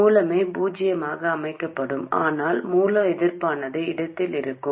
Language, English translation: Tamil, The source itself would be set to zero, but the source resistance would be in place